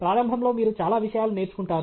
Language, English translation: Telugu, also; initially, you learn a lot of things